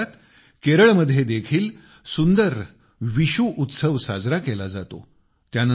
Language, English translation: Marathi, At the same time, Kerala also celebrates the beautiful festival of Vishu